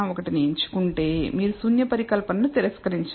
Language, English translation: Telugu, 001 you would not reject the null hypothesis